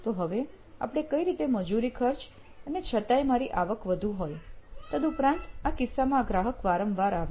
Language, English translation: Gujarati, Now how might we retain this labour cost and yet have my high revenue, yet bring the customer more often in this case